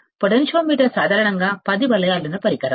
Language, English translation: Telugu, Potentiometer is usually 10 turn device